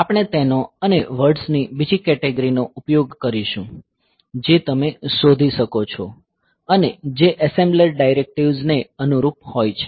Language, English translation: Gujarati, So, we will be using them and another category of words that you can find they corresponds assembler directives